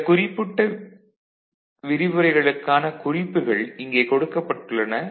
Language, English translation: Tamil, So, these are the references for these particular lectures